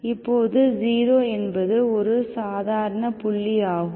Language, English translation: Tamil, So that 0 is the ordinary point